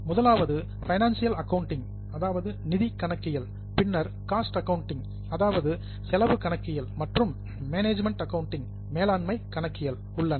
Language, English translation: Tamil, The first one is financial accounting, then there is cost accounting and there is management accounting